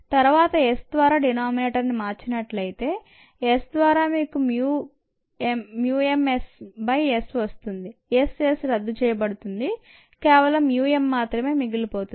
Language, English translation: Telugu, if he replace the denominator by s, you have mu m s by s, s, s can be canceled and you will be left with mu m alone and ah